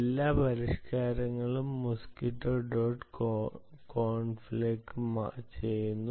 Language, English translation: Malayalam, all modifications are being done to mosquitto dot conf